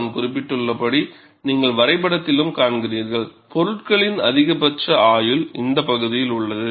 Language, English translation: Tamil, And as I mentioned, and you also see in the graph, maximum life of the component is in this region